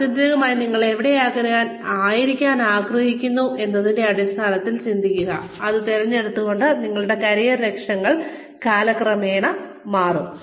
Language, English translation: Malayalam, Think in terms of, where you ultimately want to be, recognizing that, your career goals will change over time